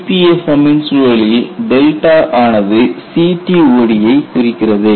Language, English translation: Tamil, In the context of EPFM, delta refers to CTOD